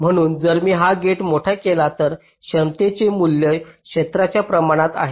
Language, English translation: Marathi, so if i make this gate larger, the value of the capacitance is proportional to the area